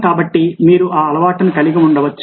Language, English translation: Telugu, so you can have that habit